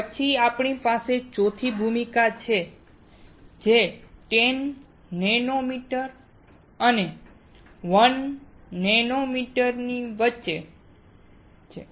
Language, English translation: Gujarati, We then have the fourth role which is somewhere between 10 nanometer and 1 nanometer